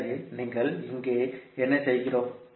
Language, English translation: Tamil, So, what we are doing here